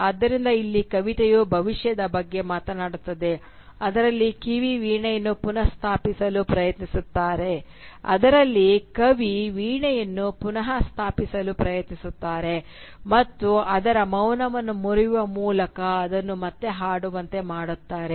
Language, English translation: Kannada, So here the poem is speaking about the future in which the poet will try and restore the harp, and by breaking its silence make it sing again